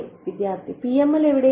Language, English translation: Malayalam, Where do the PML